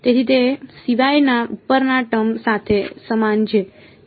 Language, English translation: Gujarati, So, its identical to the term above except for